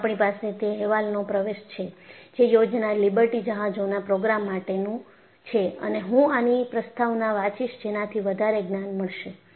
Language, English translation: Gujarati, In fact, I have access to that report, thanks to the Project Liberty ship program and I would read the foreword, that would be more revealing